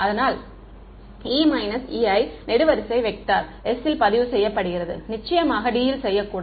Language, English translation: Tamil, So, E minus E i is being recorded into a column vector s of course, r should not belong to d